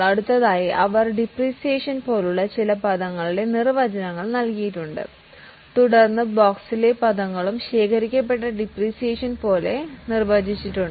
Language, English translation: Malayalam, Now next they have given definitions of some of the terms like depreciation, then the terms in the box have also been defined like accumulated depreciation